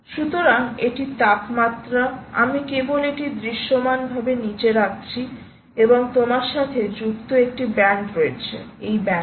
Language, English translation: Bengali, ok, so this is the temperature i am just visually putting it down and there is a band that you have associated